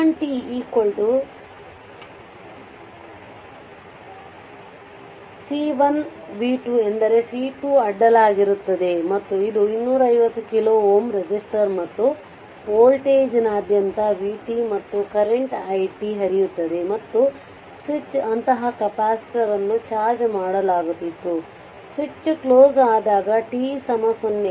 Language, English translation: Kannada, So, v one t means across C 1 v 2 t means across C 2 and this is 250 kilo ohm resistor and across the voltage is vt and current flowing through is i t and switch was such capacitor was charged, switch was open now switch is closed at t is equal to 0 right